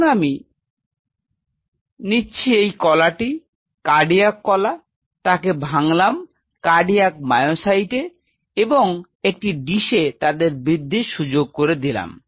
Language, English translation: Bengali, Now I take this tissue cardiac tissue dissociate them into cardiac myocytes and allow them to grow in a dish